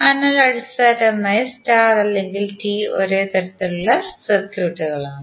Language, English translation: Malayalam, So basically the star or T are the same type of circuits